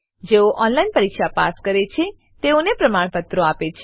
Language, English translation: Gujarati, Gives certificates to those who pass an on line test